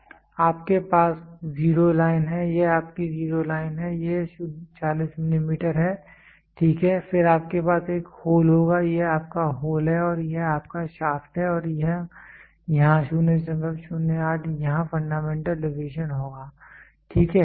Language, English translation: Hindi, You have zero line this is your zero line this is 40 milli 40, ok, then you will have a hole this is your hole and this is your shaft and here the 0